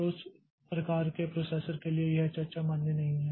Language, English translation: Hindi, So, for that type of processors this discussion is not valid